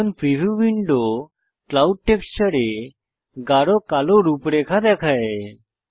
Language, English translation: Bengali, now the preview window shows hard black outlines in the clouds texture